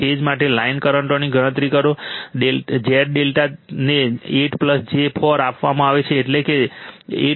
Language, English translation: Gujarati, Calculate the phase and line currents look, Z delta is given 8 plus j 4, that is 8